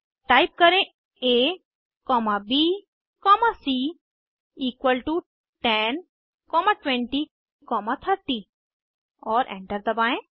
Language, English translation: Hindi, Type a comma b comma c equal to 10 comma 20 comma 30 and press Enter